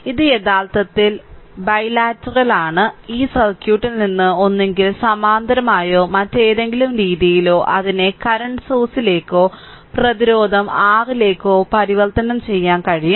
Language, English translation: Malayalam, So, this is actually bilateral I mean either from this circuit you can convert it to your current source or resistance R in parallel or in other way